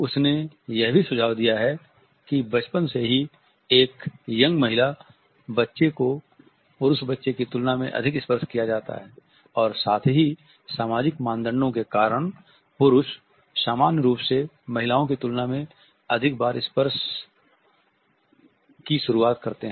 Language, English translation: Hindi, She has also suggested that since their early childhood it is the young female child who is touched more in comparison to a male child, and at the same time because of the social norms men normally initiate touch more frequently than women